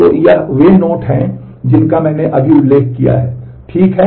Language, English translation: Hindi, So, this these are the notes I just mentioned it ok